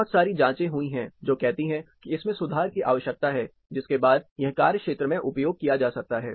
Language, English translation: Hindi, There has been lot of investigations which say, that it needs a correction, with which can applied to the field